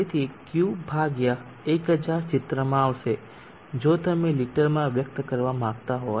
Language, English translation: Gujarati, So 1000 will come into the picture if you want to express in liters